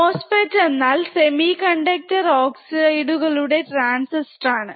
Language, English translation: Malayalam, MOSFET is nothing but metal oxide semiconductor field effect transistors